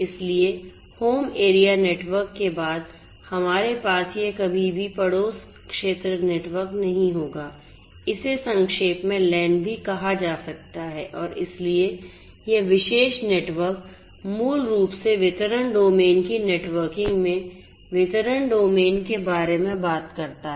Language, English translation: Hindi, So, home area network, after home area network we will have this never neighborhood area network in short it is also known as the NAN and so, this particular network basically talks about the distribution domain in the networking of the distribution domain